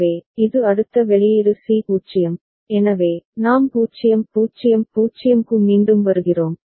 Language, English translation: Tamil, So, this next the output C 0, so, we are coming back to 0 0 0 right